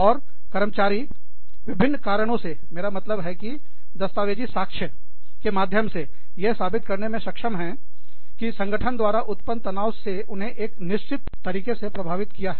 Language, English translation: Hindi, And, employees can indulge, i mean, for what, various reasons, that there are able to prove it, through documentary evidence, that the stress caused by the organization, has affected them in a certain way